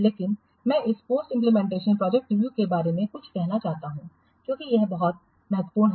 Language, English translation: Hindi, But I want to say something about this post implementation project review because this is very, very important